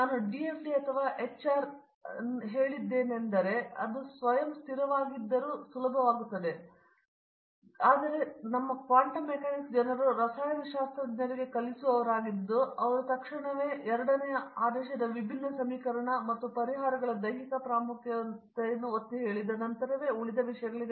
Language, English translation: Kannada, As I told you DFD or HR (Refer Time: 30:56) even self consistent it will become easy, but unfortunately our quantum mechanics is people who teach it for the chemists, they immediately go to a second order differential equation and solution of them and all those things since it of the emphasizing the physical significance of the solutions